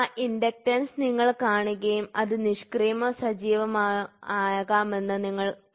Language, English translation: Malayalam, So, if you see that inductance, if you see that you can put this as passive and active